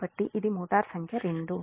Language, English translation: Telugu, and this is motor two